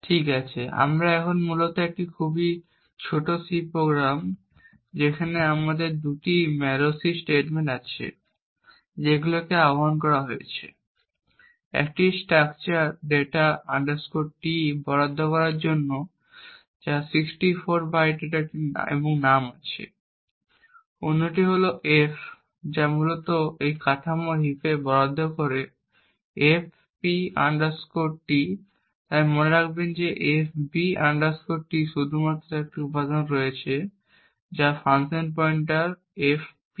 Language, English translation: Bengali, c, okay so this essentially is a very small C program where we have two malloc statements that gets invoked, one to allocate a structure data T which is of 64 bytes and has name, the other one is F which essentially allocates in the heap this structure fp T, so note that FB T has just one element which is a function pointer fp